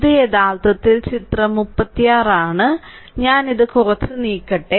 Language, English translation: Malayalam, This is actually figure 36 just hold on, let me move it off little bit